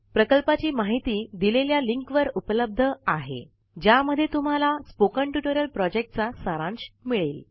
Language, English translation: Marathi, Watch the video available at the following link.It summarises the Spoken Tutorial project